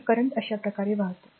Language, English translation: Marathi, So, current is flowing like this right